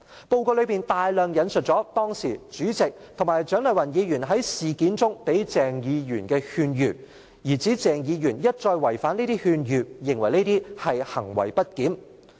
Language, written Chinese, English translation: Cantonese, 報告中大量引述了當時主席及蔣麗芸議員在事件中給鄭議員的勸諭，從而指鄭議員一再違反這些勸諭，認為這是行為不檢。, In the report many pieces of advice then given by the President and Dr CHIANG Lai - wan to Dr CHENG in the incident are quoted and Dr CHENG is thus accused of misbehaviour for repeatedly acting against such advice